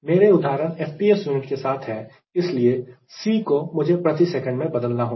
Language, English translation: Hindi, so my examples are are: with f, p, s unit, so c i should convert it into per second